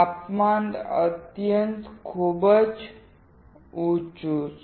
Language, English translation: Gujarati, The temperature is extremely high